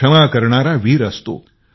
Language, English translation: Marathi, The one who forgives is valiant